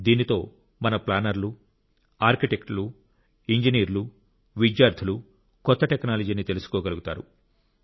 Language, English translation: Telugu, Through this our planners, Architects, Engineers and students will know of new technology and experiment with them too